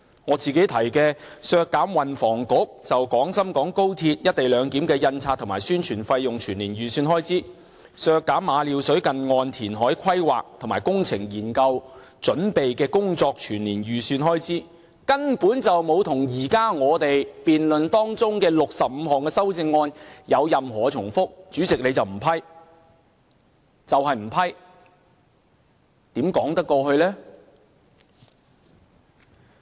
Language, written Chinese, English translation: Cantonese, 我提出的"削減運輸及房屋局就廣深港高鐵一地兩檢的印刷和宣傳費用全年預算開支"，以及"削減馬料水近岸填海規劃和工程研究準備工作全年預算開支"，根本沒有與我們現時辯論中的65項修正案有任何重複，但主席你就是不批，就是不批，這如何說得過去？, My proposal of reducing the estimated full - year expenditure for the Transport and Housing Bureau in printing and publicity of the co - location scheme of the Guangzhou - Shenzhen - Hong Kong Express Rail Link XRL and reducing the estimated full - year expenditure for the preparatory work on the planning and engineering study for nearshore reclamation at Ma Liu Shui have not overlapped any of the 65 amendments in our debate but the Chairman maintains that they should not be approved how can you find an excuse for that?